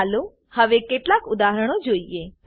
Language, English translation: Gujarati, Lets us see some examples now